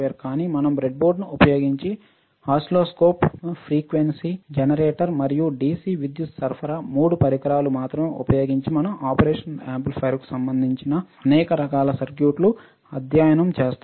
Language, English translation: Telugu, But we will also do the similar study using the breadboard using the oscilloscope, frequency generator and dc power supply, the only three equipments we will use and we will design several kind of circuits related to the operational amplifier all right